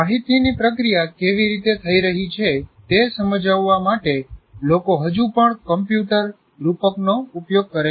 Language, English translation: Gujarati, People still use the computer metaphor to explain how the information is being processed